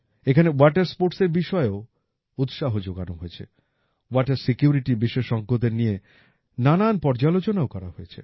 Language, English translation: Bengali, In that, water sports were also promoted and brainstorming was also done with experts on water security